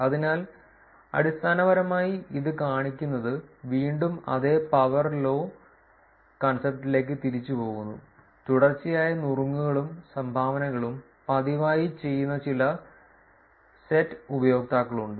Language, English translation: Malayalam, So, essentially what this shows is again it is going back to the same power law concept, there are some set of users where there is consecutive tips and dones are done very frequently